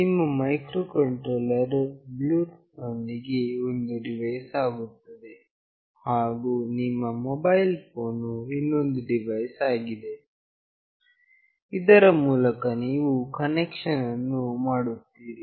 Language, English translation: Kannada, Your microcontroller along with that Bluetooth becomes one device, and your mobile phone is another device through which you will be making the connection